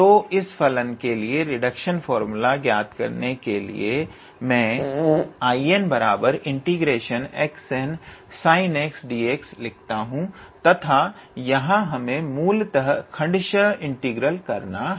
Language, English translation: Hindi, So, to find the reduction formula for this function I can write I n equals to x to the power n sin x d x and here basically we have to do an integration by parts